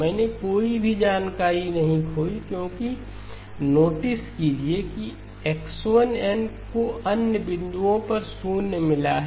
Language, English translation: Hindi, I did not lose any information because notice that X1 of n has got zeros at the other points